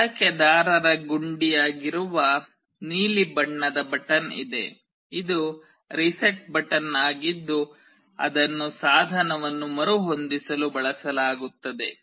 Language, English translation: Kannada, There is a blue color button that is the user button, this is the reset button that will be used to reset the device